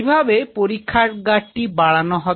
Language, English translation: Bengali, How the lab will expand